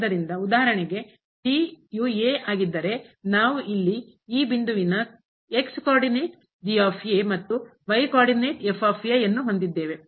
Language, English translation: Kannada, So, if for example, is equal to, then we have here the co ordinate and the co ordinate of this point